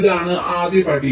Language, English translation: Malayalam, ok, this is the first step